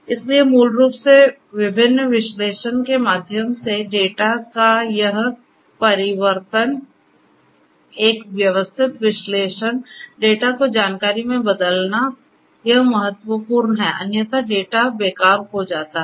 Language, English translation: Hindi, So, basically this transformation of the data through the different analysis, a systematic analysis, transforming the data raw data into information has to be done, it is crucial otherwise it is that the data becomes useless